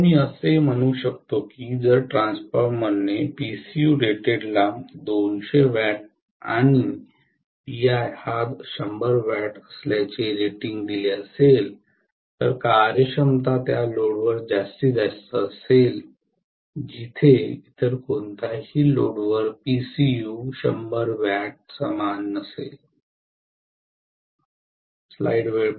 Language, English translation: Marathi, So I can say if a transformer has PCU rated to be 200 W and P iron to be 100 W, efficiency will be maximum at that load where PCU at any other load equal to 100 W